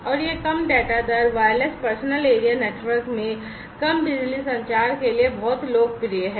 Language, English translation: Hindi, And it is very popular for low data rate, low power communication in wireless personal area networks